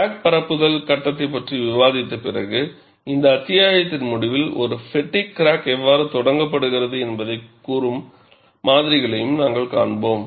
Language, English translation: Tamil, After discussing the crack propagation phase, towards the end of this chapter, you would also see models that tell you how a fatigue crack gets initiated